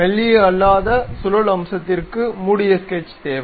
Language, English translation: Tamil, A non thin revolution feature requires a closed sketch